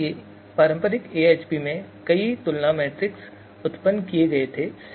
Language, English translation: Hindi, So number of comparison matrices were generated there in traditional AHP